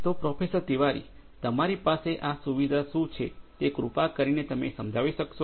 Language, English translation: Gujarati, So, Professor Tiwari, what is this facility that you have would you please explain